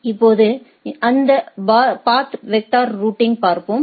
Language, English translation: Tamil, Now, if we look at that path vector routing right